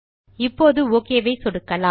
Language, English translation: Tamil, Let us click on the Ok button now